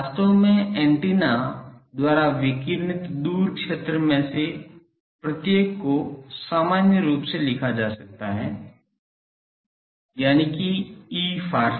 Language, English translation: Hindi, Actually, each of the far field radiated by antenna can be written in a general form that E far field far is